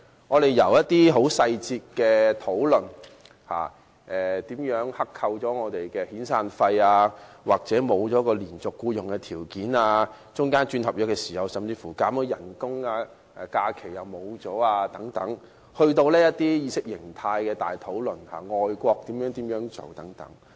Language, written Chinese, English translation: Cantonese, 我們既討論了議題的細節，包括外判商如何剋扣工人的遣散費、工人喪失連續僱用的條件，以及續約時被削減工資和失去假期等，亦討論了較大範圍的意識形態及外國的做法等。, Not only have we discussed the motion question in detail including how contractors withhold severance payment from workers and how workers are deprived of their conditions for continuous employment and have their wages slashed and holidays forfeited when their contracts are renewed we have also discussed ideologies of a wider scope overseas practices and so on